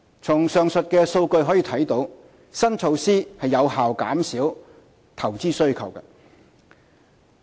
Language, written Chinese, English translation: Cantonese, 從上述數據可見，新措施有效減少投資需求。, As demonstrated by the aforementioned data the new measure is effective in reducing investment demand